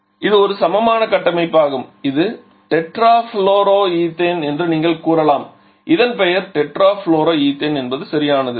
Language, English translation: Tamil, So, it is an even structure and it is you can say tetra fluro ethane you can say the name of this one is tetra fluro ethane right